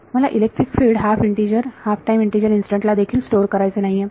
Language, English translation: Marathi, I do not want to be storing electric field at halftime integer instance also